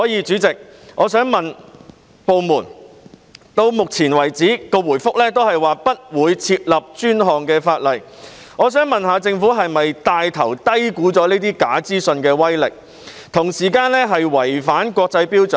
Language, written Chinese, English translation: Cantonese, 主席，到目前為止，部門的答覆都是不會訂立專項法例，我想問政府是否帶頭低估這些假資訊的威力，同時違反國際標準？, President so far the Governments reply is that no specific legislation would be introduced . I would like to ask the Government if it is taking the lead to underestimate the power of such false information and at the same time acting contrary to the international standard